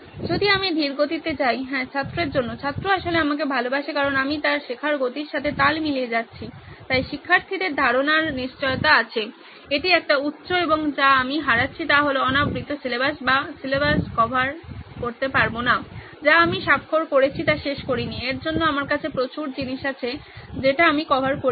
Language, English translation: Bengali, If I go slow, yeah for the student, student actually loves me because I am matching pace with his learning speed so student retention is definitely there it’s a high and what I am losing out on is uncovered syllabus I have not finished what I have signed up for so, I have a lot of stuff that I have not covered